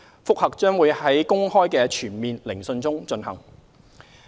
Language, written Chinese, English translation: Cantonese, 覆核將會在公開的全面聆訊中進行。, The review is conducted at a full hearing in public